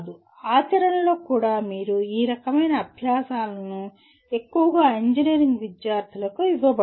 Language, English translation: Telugu, Even this in practice if you see not much of this kind of exercises are given to the engineering students